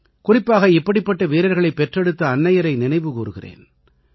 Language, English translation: Tamil, And especially, I remember the brave mothers who give birth to such bravehearts